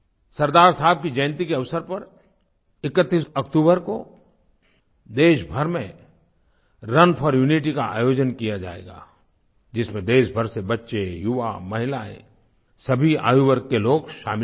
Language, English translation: Hindi, On the occasion of the birth anniversary of Sardar Sahab, Run for Unity will be organized throughout the country, which will see the participation of children, youth, women, in fact people of all age groups